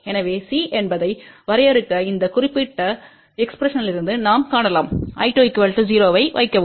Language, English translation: Tamil, So, to define C you can see from this particular expression, if we put I 2 equal to 0